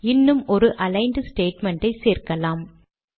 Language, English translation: Tamil, Let us add one more aligned statement